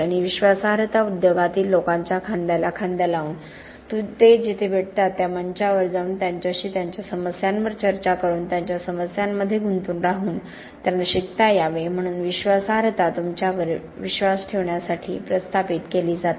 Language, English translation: Marathi, And credibility is established by rubbing shoulders with people in the industry, by getting out to the forums where they meet, like meeting them on site by discussing their concerns with them, by being involved in the problems of they are involved in so that they learn to trust you